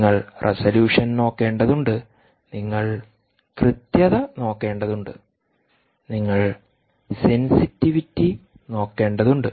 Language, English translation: Malayalam, you will have to look at accuracy, you will have to look at resolution